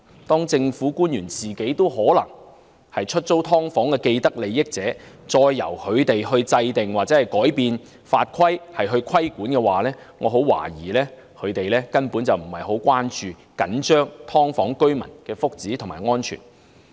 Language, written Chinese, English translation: Cantonese, 當政府官員本身可能是出租"劏房"的既得利益者，由他們制訂或改變法規進行規管，我很懷疑他們根本不會關注或着緊"劏房"居民的福祉和安全。, While government officials themselves may have vested interests in letting out subdivided units when they are tasked to formulate or amend legislation and rules for regulation I really suspect they would not be concerned or care a bit about the well - being and safety of those dwellers of subdivided units